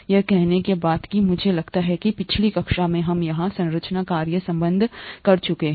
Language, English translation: Hindi, Having said these I think in the last class we stopped here the structure function relationship